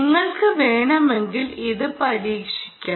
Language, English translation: Malayalam, so you can try this if you wish